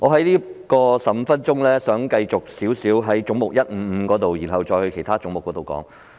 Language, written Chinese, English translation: Cantonese, 我想利用15分鐘的發言時間先討論總目 155， 再討論其他總目。, I wish to spend my 15 - minute speaking time discussing head 155 before other heads